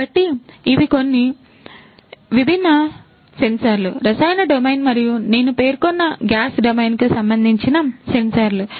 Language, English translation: Telugu, So these are some of these different sensors, the chemical domain and the gas domain that I have mentioned